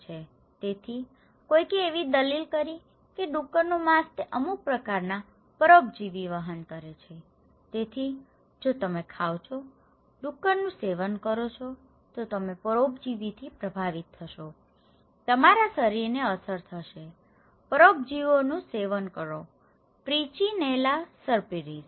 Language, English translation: Gujarati, So, somebody argued that the pork it carries some kind of parasites so, if you are eating, consuming pork you will be affected by parasites, your body will be affect, consuming also parasites; Trichinella spiralis